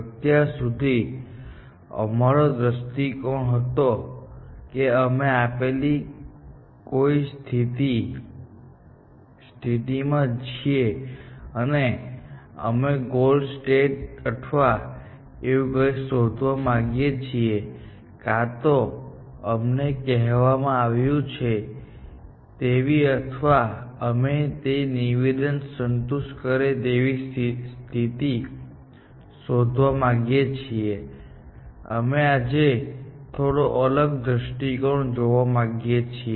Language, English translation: Gujarati, So far, our approach has been that we are in some given state, and we want to find a path to the goal state or something like that, or we are given a description of the goal state and we want to search for a state, which satisfies that description